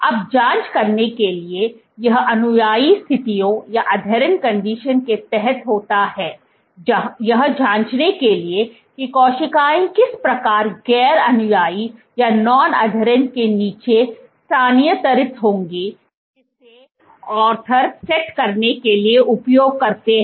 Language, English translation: Hindi, Now to check, so this is under adherent conditions, to check how the cells would migrate under non adherent the Arthurs use to set up